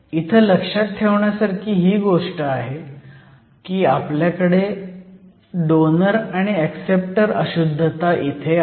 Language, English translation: Marathi, So, The important thing to remember here is that, this is the case where we have acceptor and donor impurities